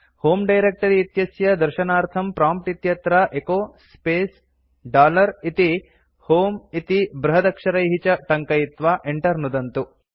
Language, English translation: Sanskrit, To see the home directory type at the prompt echo space dollar HOME in capital and press enter